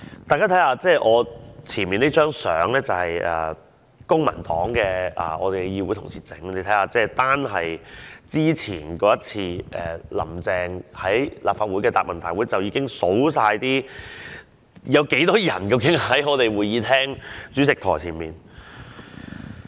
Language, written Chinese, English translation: Cantonese, 大家看看我前面這張圖片，是公民黨的議會同事印製的，單是之前那次"林鄭"在立法會的答問會，已經看到有多少保安人員在會議廳主席台前。, Let us look at this picture in front of me which is printed by the Honourable colleagues of the Civic Party . Mrs Carrie LAM attended that Chief Executives Question and Answer Session and in that Session alone we could see the large number of security staff in front of the Presidents podium